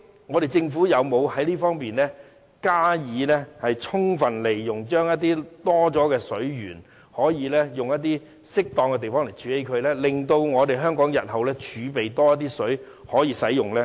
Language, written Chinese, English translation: Cantonese, 我們的政府究竟有否在這方面加以充分利用，在適當的地方處理剩餘的水源，令香港日後儲備更多食水可供使用？, In this case wastage of water resources is resulted . Has the Government considered how to utilize such excess water by storing them properly so that Hong Kong can store more water for future use?